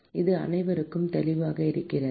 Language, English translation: Tamil, Is it clear to everyone